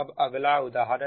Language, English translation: Hindi, now another one is